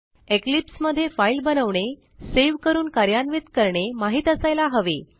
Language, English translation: Marathi, And you must know how to create, save and run a file in Eclipse